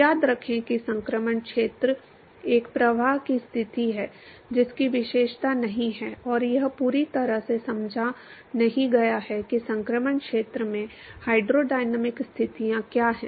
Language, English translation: Hindi, Remember that transition region is a flow condition which has not been characterized, and is not been fully understood as to what is the hydrodynamic conditions in the transition region